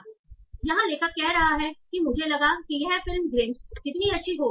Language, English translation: Hindi, So here the author is saying, I thought this movie would be as good as the Grinch